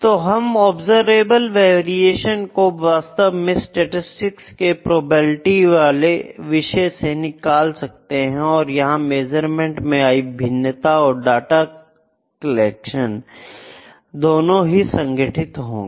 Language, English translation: Hindi, So, we have an observable variation which is actually drawn from the probabilistic aspects in statistics these are measurement variation is there and data collection structures are there